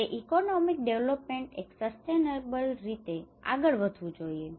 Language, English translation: Gujarati, That economic development should proceed in a sustainable manner